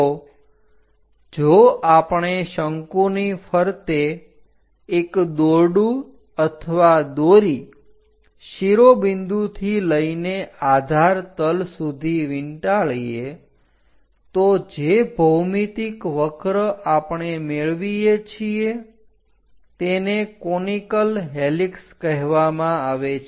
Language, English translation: Gujarati, So, if we are winding a rope or thread around a cone sorting all the way from apex to base, the geometric curve we get is called conical helix